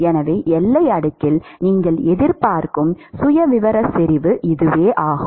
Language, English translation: Tamil, So, that is the kind of profile concentration profile that you would expect in the boundary layer